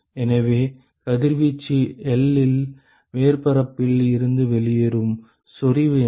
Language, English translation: Tamil, So, what will be the intensity with which the radiation leaves the surface at L